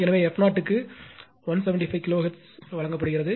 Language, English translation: Tamil, So, f 0 is given 175 kilo hertz